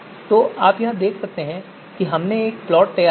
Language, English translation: Hindi, So plot, you can see a plot has been generated here